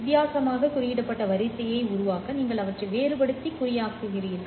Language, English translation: Tamil, You differentially encode them to generate the differentially encoded sequence